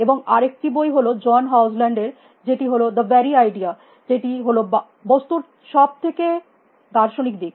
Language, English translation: Bengali, And the other book is John hogiland, which is AI the very idea which is the most philosophical side of things